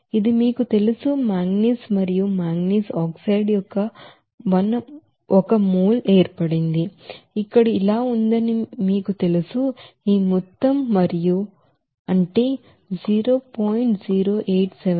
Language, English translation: Telugu, Since this you know one mole of manganese and manganese oxide formed you know has like this here, this amount and this amount, that is 0